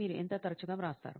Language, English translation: Telugu, Just how frequently do you write